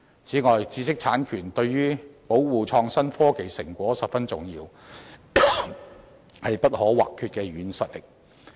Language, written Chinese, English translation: Cantonese, 此外，知識產權對於保護創新科技成果十分重要，是不可或缺的"軟實力"。, Furthermore the protection offered by intellectual property rights are highly important to innovation and technology products an indispensible soft power of the industry